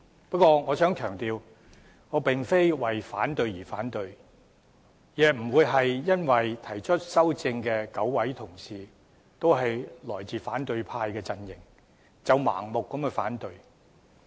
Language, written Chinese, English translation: Cantonese, 不過，我想強調我並非為反對而反對，亦非因為提出修正案的9位同事均來自反對派陣營，便盲目反對。, However I wish to stress that I do not oppose them for the sake of opposition nor do I oppose them blindly because the 9 Honourable colleagues proposing the amendments all come from the opposition camp